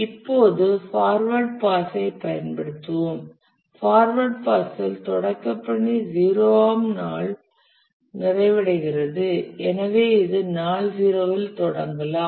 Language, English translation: Tamil, In the forward pass the start task starts and completes on day zero and therefore this can start on day 0